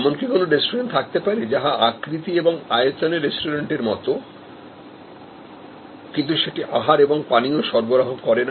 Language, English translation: Bengali, But, can there be a restaurant, which has the shape and size of a restaurant, but it does not deal with food and beverage